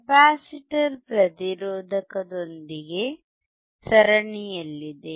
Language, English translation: Kannada, Capacitor is in series with resistor